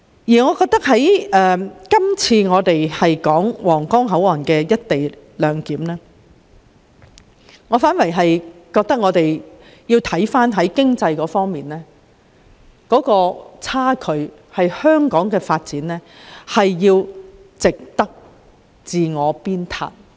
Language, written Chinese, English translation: Cantonese, 在今次有關推展皇崗口岸"一地兩檢"安排的討論中，我反而認為應着眼於經濟方面的差距，而香港的發展是需要我們自我鞭撻的。, In our present discussion on pressing ahead the implementation of co - location arrangement at the Huanggang Port I conversely think that the focus should be put on the discrepancy in economic development between the two places and Hong Kong should strive to better itself in this respect